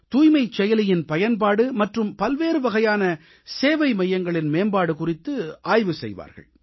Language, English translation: Tamil, They will analyse the use of the Cleanliness App and also about bringing reforms and improvements in various kinds of service centres